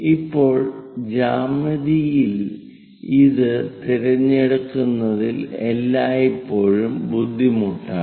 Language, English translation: Malayalam, Now a geometry this is always be difficult in terms of choosing it